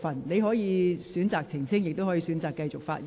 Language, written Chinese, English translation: Cantonese, 你可以選擇澄清，亦可以選擇繼續發言。, You may choose to clarify or you may choose to continue with your speech